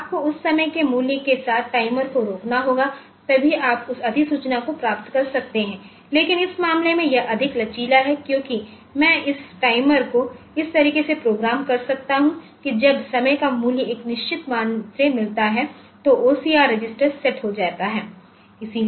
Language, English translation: Hindi, So, you have to stop the timer with that time value then only you can get that notification, but in this case it is more flexible because I can have this timer timers programmed in such a fashion that when that time value reaches a particular value set in the OCR register